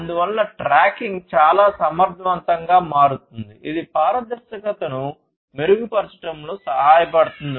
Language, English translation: Telugu, So, tracking becomes a very efficient so, that basically helps in improving the transparency